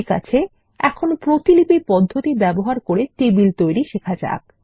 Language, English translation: Bengali, Okay, let us learn to create tables by using the copy method